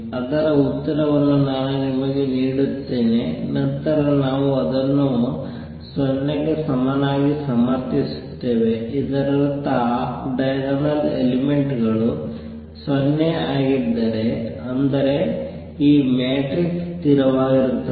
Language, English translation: Kannada, Let me give you the answer the off diagonal elements then we will justify it r equal to 0; that means, if the off diagonal elements are 0; that means, this matrix is a constant